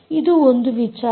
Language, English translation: Kannada, this is for the